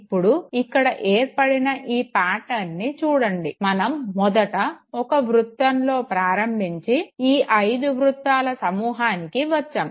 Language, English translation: Telugu, Now when you look at this very pattern, you started from the first, came up to the whole set of five rings